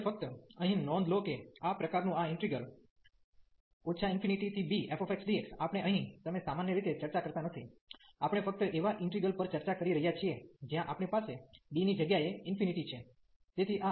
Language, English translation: Gujarati, So, now just in note here that this integral of this type minus infinity to b f x dx, we are not you normally discussing here, we are just discussing the integrals where we have infinity in place of this b